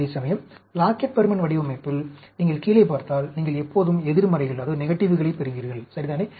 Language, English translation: Tamil, Whereas, in Plackett Burman design, if you see at the bottom, you will get always negatives, right